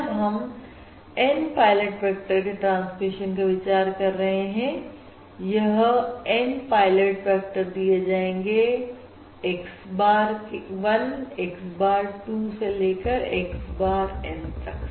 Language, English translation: Hindi, these N pilot vectors, these are given as x bar of 1, x bar of 2, so on, x bar of N